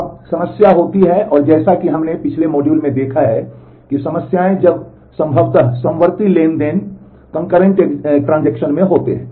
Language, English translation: Hindi, Now, the problem happens, and as we have seen in the last module, that problems happen when possibly concurrent transactions happen